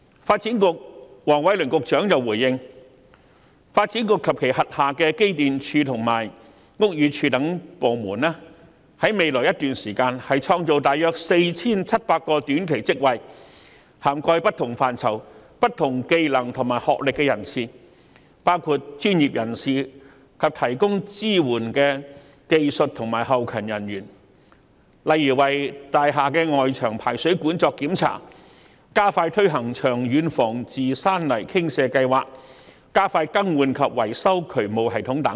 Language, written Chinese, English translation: Cantonese, 發展局局長黃偉綸回應時表示，發展局及其轄下的機電署和屋宇署等部門會在未來一段時間創造約 4,700 個短期職位，當中涵蓋不同範疇、技能和學歷的人士，包括專業人士及提供支援的技術和後勤人員，例如檢查大廈外牆排水管、加快推行長遠防治山泥傾瀉計劃，以及加快更換及維修渠務系統等。, Secretary for Development Michael WONG has indicated in his reply that the Development Bureau and the departments under its purview such as EMSD and BD will create about 4 700 short - term jobs in the future for people of different fields skill sets and academic qualifications including professionals as well as technicians and backend office staff who provide support services . Such jobs include those to inspect the external drainage pipes of buildings speed up the implementation of the Landslip Prevention and Mitigation Programme and expedite the replacement and repair of drainage systems etc